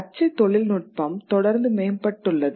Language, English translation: Tamil, Since then printing technology has constantly improved